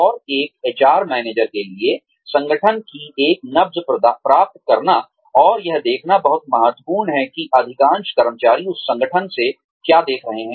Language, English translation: Hindi, And, it is very important for an HR manager, to get a pulse of the organization, and to see, what most employees are looking for, from that organization